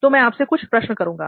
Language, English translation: Hindi, So few questions to you